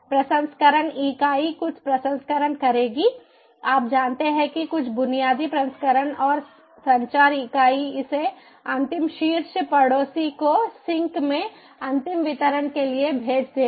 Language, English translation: Hindi, processing unit will do some processing you know, some basic processing and the communication unit will send it forward to the next top neighbor for final delivery to the sink